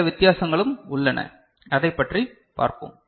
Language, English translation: Tamil, So, there is some difference that we shall also tell